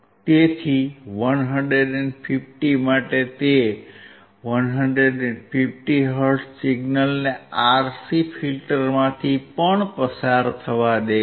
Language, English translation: Gujarati, So, for 150 also, it is allowing 150 hertz signal to also pass through the RC filter